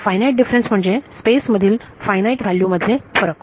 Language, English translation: Marathi, Finite differences so, differences between finite values in space